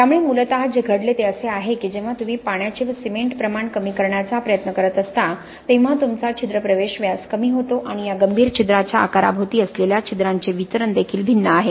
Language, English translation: Marathi, So essentially what has happened is when you are trying to reduce the water cement ratio your pore entry diameters have reduced and your distribution of the pores around this critical pore size are also different